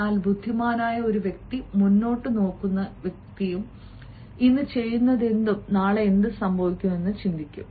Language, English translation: Malayalam, but an intelligent person, a forward looking person, will also think of what may happen tomorrow